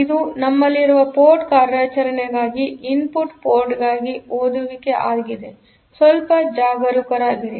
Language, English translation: Kannada, So, this is the reading at for input port for the port operation we have to be a bit careful